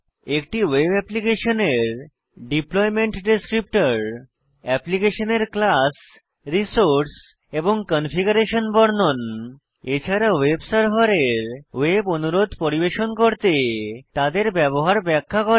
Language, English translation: Bengali, A web applications deployment descriptor describes: the classes, resources and configuration of the application and how the web server uses them to serve web requests The web server receives a request for the application